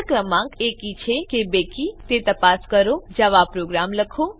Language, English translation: Gujarati, * Write a java program to check whether the given number is even or odd